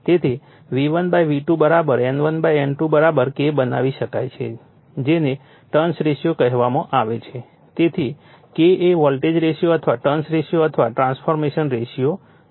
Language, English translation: Gujarati, Therefore, we can make V1 / V2 = N1 / N2 = K that is called turns ratio therefore, K is the voltage ratio or turns ratio or transformation ratio